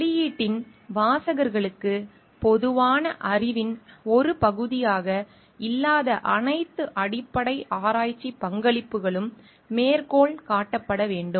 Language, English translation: Tamil, All foundational research contributions that are not a part of common knowledge for the leadership of the publication should also be cited